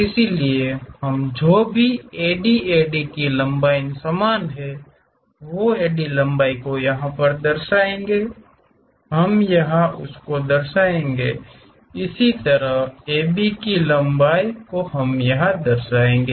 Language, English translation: Hindi, So, we locate whatever the AD length here same AD length here we will locate it; similarly, AB length AB length we will locate